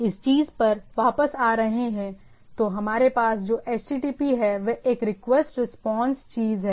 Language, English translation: Hindi, So, coming back to the thing, so what we have HTTP is a request response thing